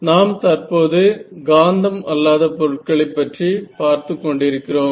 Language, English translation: Tamil, Now what we will deal with is we are dealing with non magnetic materials and moreover